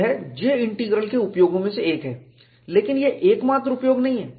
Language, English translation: Hindi, That is one of the uses of J Integral, but that is not the only use